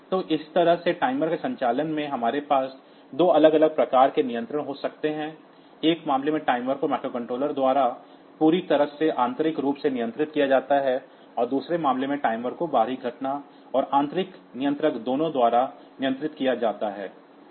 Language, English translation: Hindi, So, this way we can have 2 different type of controls in the operation of timer, in one case the timer is controlled totally internally by the microcontroller, and in the second case the timer is controlled both by the external event and the internal controller